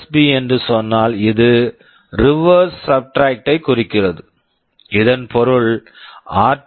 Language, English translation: Tamil, Now, if I say RSB this stands for reverse subtract this means r2 r1